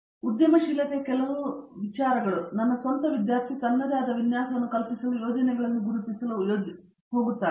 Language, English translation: Kannada, And few even ideas of entrepreneurial thing, my own student is planning to sort of entrepreneurial, identifying ideas to setup his own